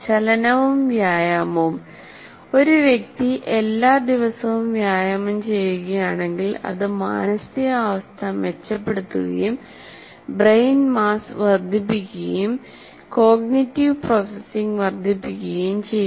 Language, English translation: Malayalam, And movement and exercise, that is if a person continuously exercises every day, it improves the mood, increases the brain mass and enhance cognitive processing